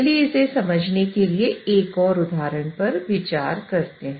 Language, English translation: Hindi, So let me explain you this through an example